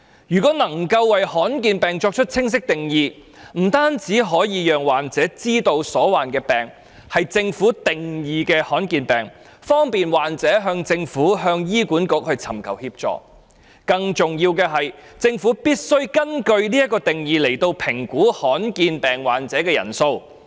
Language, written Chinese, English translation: Cantonese, 如果能夠為罕見疾病作出清晰定義，不單可以讓患者知道所患疾病是政府定義的罕見疾病，方便患者向政府和醫院管理局尋求協助，更重要的是，政府必須根據這個定義來評估罕見疾病患者的人數。, A clear definition on rare diseases will enable patients to know that their diseases fall within the definition of a rare disease by the Government and to seek help from the Government and the Hospital Authority HA . More importantly the Government must use this definition to assess the number of rare disease patients